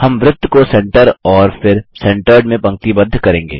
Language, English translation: Hindi, We shall align the circle to Centre and then to Centered